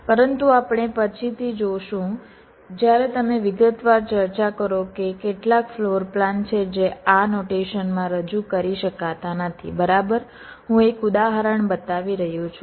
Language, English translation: Gujarati, but we shall see later when you discuss in detail that there are certain floorplans which cannot be represented in this notation, right